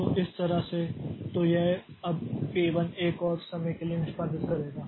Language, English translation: Hindi, So, in this way, so this now P1 will execute for one more time